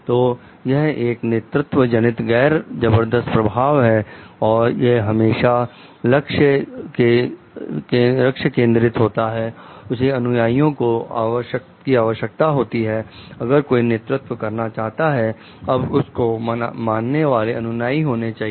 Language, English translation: Hindi, So, it is a leadership involves non coercive influence, it is always goal directed, it requires followers, if somebody has to like lead, then there must be followers to follow